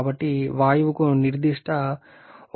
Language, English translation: Telugu, So, gas is having the specific 1